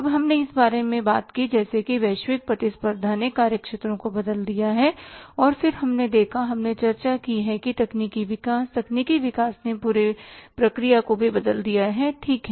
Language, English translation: Hindi, Then we talked about that now the say global competition has changed the working spheres and then we have seen, we have discussed that technology advances, technological advances have also changed the entire process